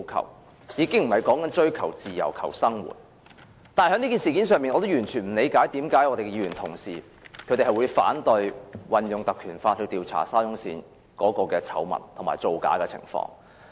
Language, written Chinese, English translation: Cantonese, 我們說的已經不是追求自由、追求生活品質，但在這事件上，我完全不理解為甚麼議員同事會反對引用《條例》調查沙中線的醜聞和造假的情況。, We are not talking about the pursuit of freedom and quality of life and regarding this matter I totally fail to understand why some Members oppose the invocation of the Ordinance to inquire into the scandal and falsification related to SCL